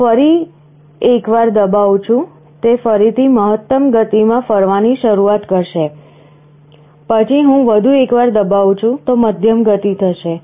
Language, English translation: Gujarati, I press once more, it will again start rotating in the maximum speed, then I press once more medium speed